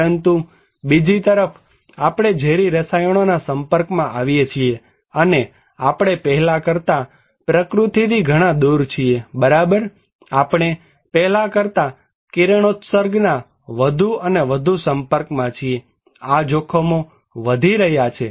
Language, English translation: Gujarati, But, on the other hand, we are more exposed to toxic chemicals and we are far away from nature than before, right, we are more and more exposed to radiation than before so, these risks are increasing